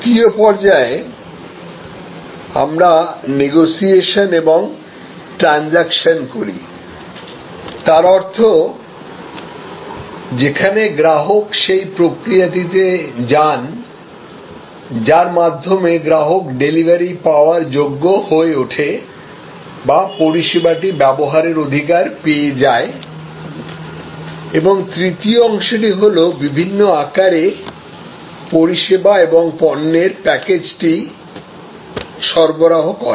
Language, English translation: Bengali, In the second stage we do negotiation and transaction; that means, where the customer goes to the process by which becomes eligible for delivery or use the right to use the service and thirdly we have the delivery of the package itself, the service product in various form